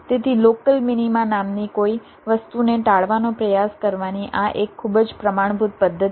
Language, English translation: Gujarati, so this is a very standard method of trying to avoid something called local minima